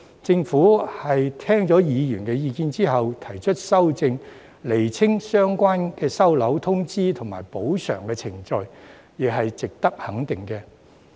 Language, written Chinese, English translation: Cantonese, 政府聽取議員的意見後提出修正案，釐清相關的收樓、通知及補償程序，亦是值得肯定的。, It is worthy of recognition that the Government has taken on board Members views and proposed an amendment to clarify the relevant procedures for repossession notification and compensation